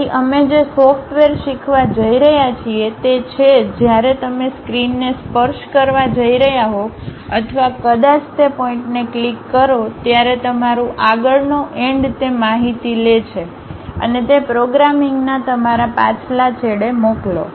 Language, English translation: Gujarati, So, the softwares what we are going to learn is when you are going to touch the screen or perhaps click the point, your front end takes that information and send it to your back end of that programming